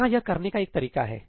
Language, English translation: Hindi, Here is one way of doing it